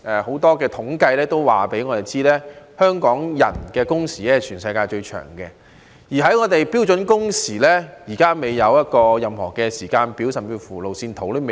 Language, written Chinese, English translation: Cantonese, 很多統計均告訴我們，香港人的工時是全世界最長的，而我們就標準工時立法，現在還未有任何時間表，甚至連路線圖也未有。, A lot of statistics has shown us that the working hours of Hong Kong people are the longest in the world . However regarding the legislative work on standard working hours there is so far no timetable or roadmap